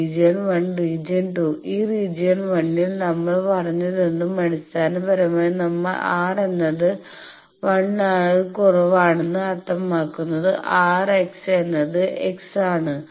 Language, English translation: Malayalam, So, here we have seen that these four regions on smith chart region 1 region 2 whatever we said in region 1 basically we have the R is less than 1 R means the R bar x is x bar etcetera